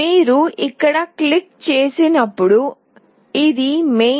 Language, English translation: Telugu, When you click here you see this is the main